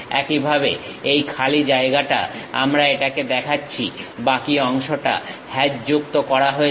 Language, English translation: Bengali, Similarly, this free space we show it; the remaining portions are hatched